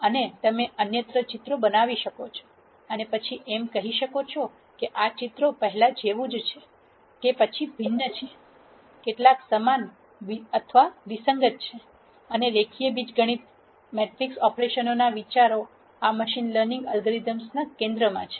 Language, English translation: Gujarati, And you could show other pictures and then say are these pictures similar to this, are these dissimilar, how similar or dissimilar and so on and the ideas from linear algebra matrix operations are at the heart of these machine learning algorithms